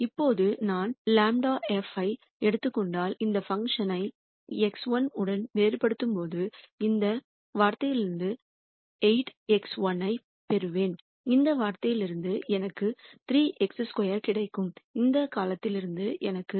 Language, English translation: Tamil, Now, if I take grad of f, so when I differentiate this function with respect to x 1, I will get from this term 8 x 1, from this term I will get 3 x 2, and from this term I will get minus 5